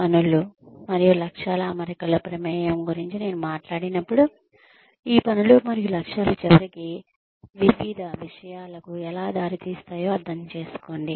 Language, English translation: Telugu, When I talked about involvement in the setting of tasks and objectives, I essentially meant that, how these tasks and objectives, can eventually lead to various other things